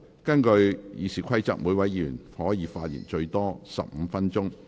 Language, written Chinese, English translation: Cantonese, 根據《議事規則》，每位議員可發言最多15分鐘。, Under the Rules of Procedure each Member may speak for up to 15 minutes